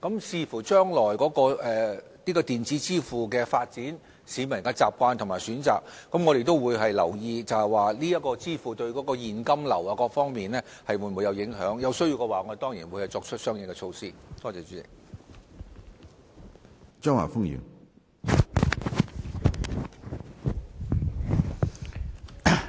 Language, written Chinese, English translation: Cantonese, 視乎將來電子支付的發展、市民的習慣和選擇，我們會留意這種支付方式對現金流等各方面的影響；如有需要，我們當然會採取相應措施。, Having regard to the future development of electronic payment as well as the peoples habits and choices we will pay attention to the impact of this means of payment on various aspects such as cash flow . If necessary we will certainly adopt corresponding initiatives